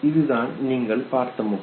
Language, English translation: Tamil, Now you see, this is the face that you saw